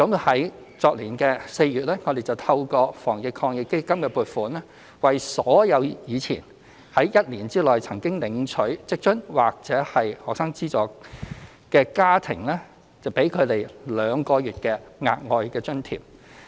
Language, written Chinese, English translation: Cantonese, 去年4月，我們透過"防疫抗疫基金"的撥款，為所有在之前一年內曾領取職津或學生資助的家庭提供兩個月的額外津貼。, With the funding from the Anti - epidemic Fund we provided in April last year a special allowance equivalent to two months of payment to all families which had received WFA or student financial assistance in the preceding year